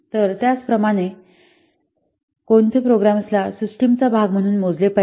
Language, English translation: Marathi, So, what programs will be counted as part of the system